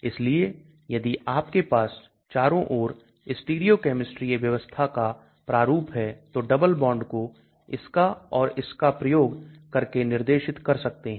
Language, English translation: Hindi, So if you have stereochemistry configuration around double bond is specified using this or this